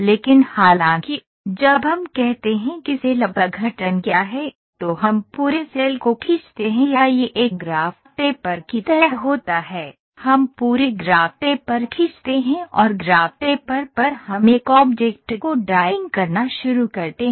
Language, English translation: Hindi, But however, when we say cell decomposition what we do is, we draw the entire cell or it is like a graph paper, we draw entire graph paper and on the graph paper we start drawing an object ok